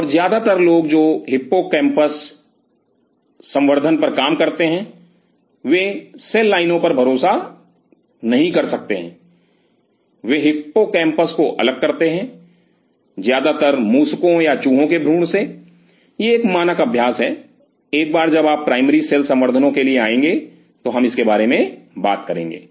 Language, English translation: Hindi, And most of the people who work on hippocampal culture, cannot rely on cell lines they isolate hippocampus, mostly from rat or mice embryo this is a standard practice once you will come for the primary cell cultures in depth we will talk about it